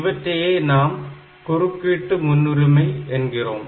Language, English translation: Tamil, So, these are the interrupt priority